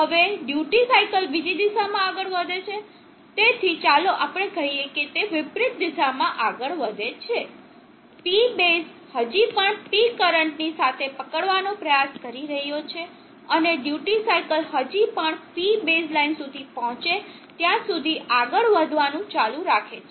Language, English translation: Gujarati, Now the duty cycle moves in the other direction, so let us say it moves in the reverse direction, P base is still trying to catch up with P current, and the duty cycle is continuous to move till it reaches P base line were it again toggles reverses direction